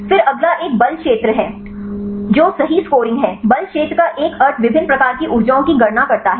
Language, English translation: Hindi, Then the next one is a force field scoring right what is a meaning of force field calculate the different types of energies